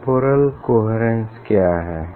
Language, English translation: Hindi, what is temporal coherence